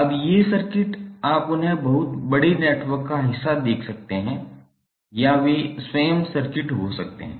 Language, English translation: Hindi, Now these circuits are, you can see them either part of very large network or they can be the circuit themselves